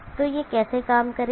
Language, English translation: Hindi, So how will this operate